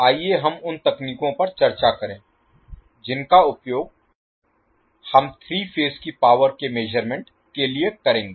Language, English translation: Hindi, Let us discuss the techniques which we will use for the measurement of three phase power